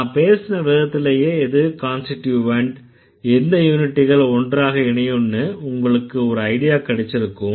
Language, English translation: Tamil, So, automatically the way I speak also gives you some idea what the constituents could be or what are the units which can go together, right